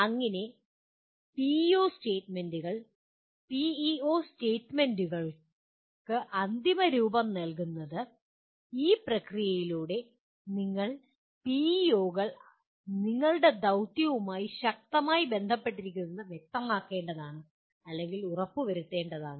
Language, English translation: Malayalam, That is how the PEO statements, finalizing the PEO statements you have to go through this process of clearly or rather making sure that PEOs are strongly correlated to the mission that you have